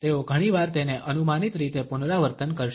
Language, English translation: Gujarati, They shall often repeat it in a predictable manner